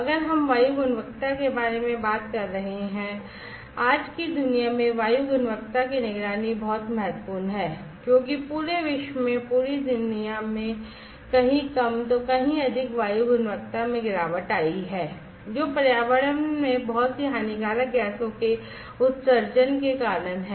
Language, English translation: Hindi, If we are talking about air quality; air quality monitoring is very important in today’s world; because the entire world throughout the entire world somewhere less somewhere more the air quality has degraded, due to the emission of lot of harmful gases into the environment